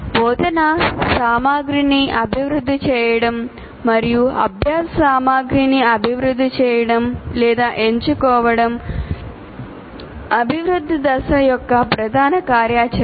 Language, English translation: Telugu, And develop instructional materials and develop or select learning materials is the main activity of development phase